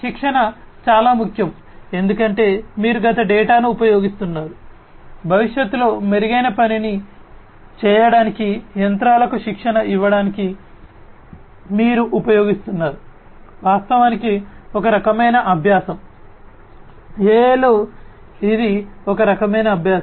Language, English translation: Telugu, Training is very important because, you know, so you are using past data, which you will be using to train the machines to do something better in the future that is one type of learning in fact, in AI that is one type of learning right